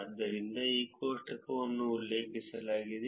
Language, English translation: Kannada, So, this table is the one that is referred